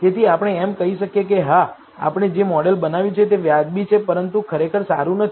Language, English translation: Gujarati, So, we can say that, yes, the model we have developed is reasonably good, but not really good